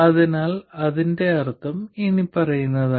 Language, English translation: Malayalam, What it means is the following